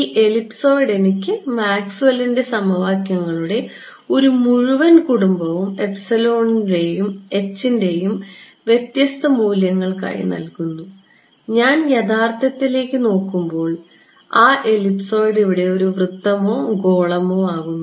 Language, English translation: Malayalam, This ellipsoid gives me a whole family of Maxwell’s equations for different values of e’s and h’s and I get back reality, so called physical reality when that ellipsoid becomes a circle right or a sphere over here